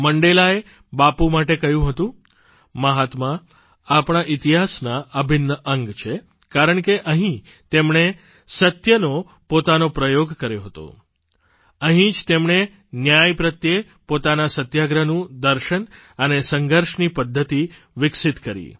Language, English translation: Gujarati, Mandela said this about Bapu "Mahatma is an integral part of our history, because it was here that he used his first experiment with truth; It was here, That he had displayed a great deal of determination for justice; It was here, he developed the philosophy of his satyagraha and his methods of struggle